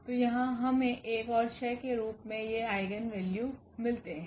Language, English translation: Hindi, So, here we get these eigenvalues as 1 and 6